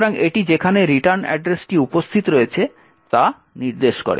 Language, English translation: Bengali, So, that it points to the where the return address is present